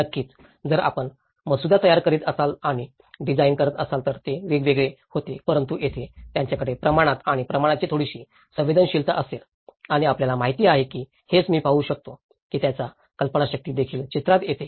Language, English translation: Marathi, Of course, if you are drafting and design then that makes it different but here they will have some sensitivity of the scale and the proportions and you know, this is what I can see that their imagination also comes into the picture